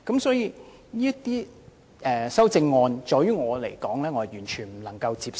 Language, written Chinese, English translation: Cantonese, 對於這些修正案，我完全無法接受。, All such amendments are entirely unacceptable to me indeed